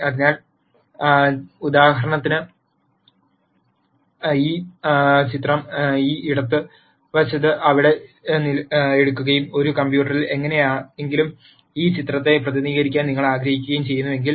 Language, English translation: Malayalam, So, for example, if you take this picture here on this left hand side and you want to represent this picture somehow in a computer